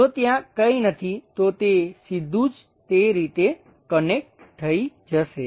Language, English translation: Gujarati, If there is nothing, it will be straight away connected in that way